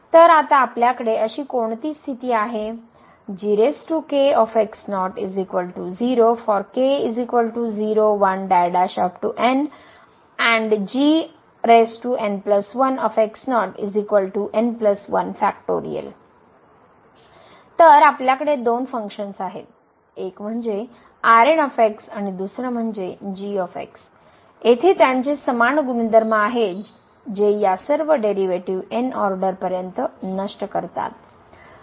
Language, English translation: Marathi, So, we have 2 functions one is and another one is they have similar properties here that all these derivative upto order they vanish